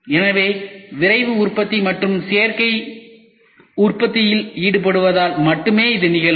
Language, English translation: Tamil, So, this could happen only because of Rapid Manufacturing and the involvement of Additive Manufacturing